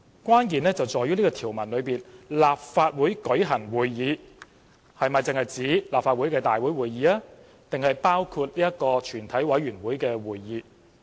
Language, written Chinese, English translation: Cantonese, 關鍵在於該條文中"立法會舉行會議"只是指立法會會議，還是包括全委會會議。, A key point is whether the meeting of the Legislative Council in this article only refers to the Legislative Council meetings or does it also cover meetings of a committee of the whole Council